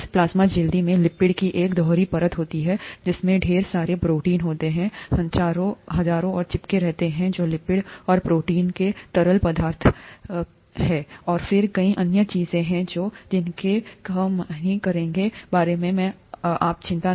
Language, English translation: Hindi, So this plasma membrane has a double layer of lipids with a lot of proteins sticking around a fluid mosaic of lipids and proteins, and then there are various other things which we will not worry about now